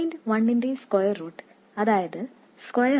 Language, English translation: Malayalam, 1, which is square root of 1 plus 0